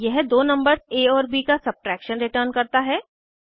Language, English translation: Hindi, This returns the subtraction of two numbers a and b